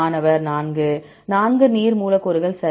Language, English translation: Tamil, 4 4 water molecules right